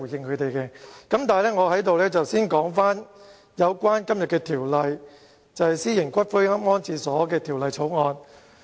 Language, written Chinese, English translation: Cantonese, 不過，我會先討論今天這項《私營骨灰安置所條例草案》。, Nonetheless I will start with the Private Columbaria Bill the Bill under discussion today